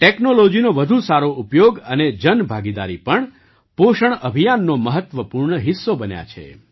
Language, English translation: Gujarati, Better use of technology and also public participation has become an important part of the Nutrition campaign